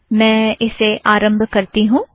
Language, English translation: Hindi, Let me launch it